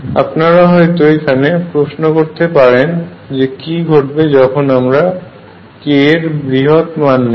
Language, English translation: Bengali, You may also ask me question what happens if I take k larger after I can solve this equation for k larger